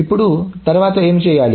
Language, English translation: Telugu, Now what needs to be done then